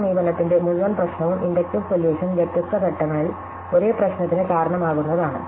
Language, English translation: Malayalam, So, the whole problem with this approach is that the inductive solution can give rise to the same problem at different stages